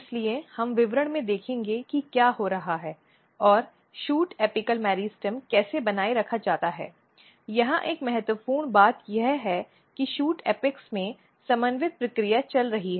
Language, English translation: Hindi, So, we will see in details what is happening and how the shoot apical meristems are maintained, but important thing here is that at the shoot apex there are coordinated process is going on